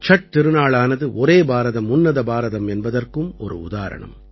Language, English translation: Tamil, The festival of Chhath is also an example of 'Ek Bharat Shrestha Bharat'